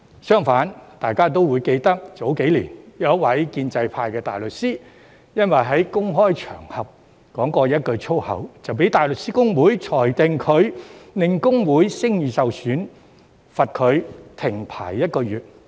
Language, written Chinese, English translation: Cantonese, 相反，大家也會記得，早幾年，有一位建制派的大律師因為在公開場合說過一句粗口，就被大律師公會裁定他令公會聲譽受損，罰他停牌一個月。, By contrast Members may recall that a few years ago HKBA ruled that a pro - establishment barrister had brought HKBA into disrepute and suspended him from practice for one month just because he had made a foul statement on a public occasion